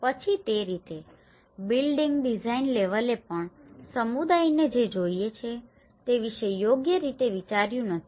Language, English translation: Gujarati, So in that way, even the building design level has not been well thought of what the community needs